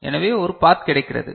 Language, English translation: Tamil, So, there is a path that is available